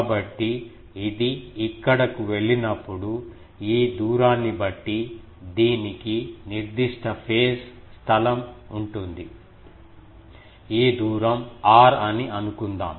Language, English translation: Telugu, So, this one when it goes here, it has certain phase space depending on these distance, let us say this distance is r